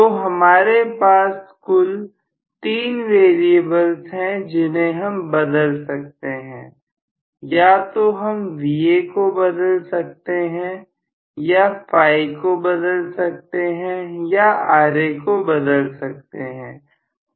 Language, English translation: Hindi, So, I have totally 3 variables that I can change, either Va I can change or phi I can change or Ra I can change